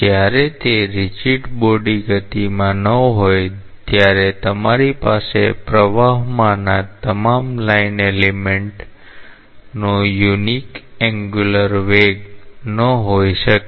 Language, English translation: Gujarati, So, when it is not in a rigid body motion you cannot really have a unique angular velocity of all the line elements in the flow